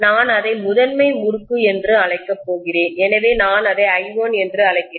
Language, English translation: Tamil, I am going to call that as the primary winding, so I am calling that as I1